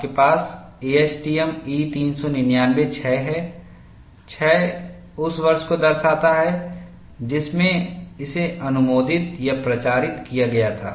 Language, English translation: Hindi, You have ASTM E399 06, the 06 indicates the year in which it was approved or reapproved, because it has a life